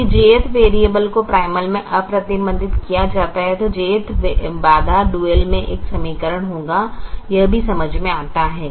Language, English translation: Hindi, if the j'th variable is unrestricted in the primal, the j'th constraint will be an equation in the dual